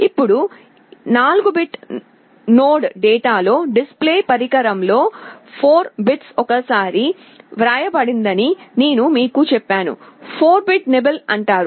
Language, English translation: Telugu, Now, I told you in the 4 bit node data are written into the display device 4 bits at a time, 4 bit is called a nibble